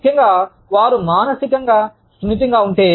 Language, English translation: Telugu, Especially, if they are emotionally sensitive